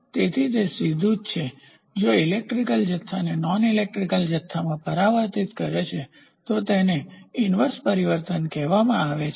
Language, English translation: Gujarati, So, that is a direct if the electrical quantity is transformed into a non electrical quantity it is called as inverse transform